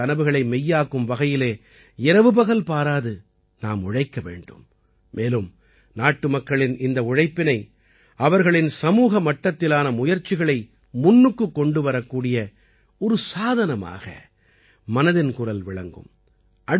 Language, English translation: Tamil, We have to work day and night to make their dreams come true and 'Mann Ki Baat' is just the medium to bring this hard work and collective efforts of the countrymen to the fore